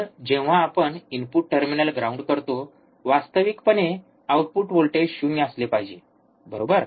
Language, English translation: Marathi, We have grounded, input we have grounded, means output voltage should be 0 volt, right